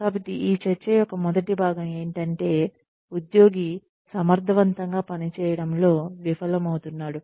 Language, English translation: Telugu, So, the first part of this discussion is that, the employee fails to perform effectively